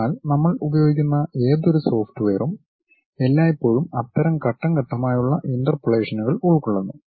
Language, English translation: Malayalam, So, any software what we use it always involves such kind of step by step interpolations